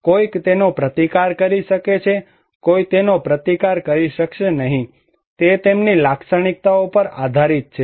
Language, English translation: Gujarati, Somebody can resist that one, somebody cannot resist that one, it depends on their characteristics also